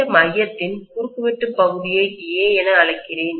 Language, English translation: Tamil, Let me call this area of cross section of this core as A